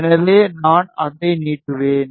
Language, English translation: Tamil, So, I will stretch it